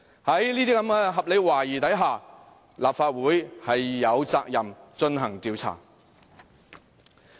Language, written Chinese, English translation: Cantonese, 在這些合理懷疑下，立法會有責任進行調查。, Owing to these reasonable suspicions the Legislative Council is obligated to conduct an investigation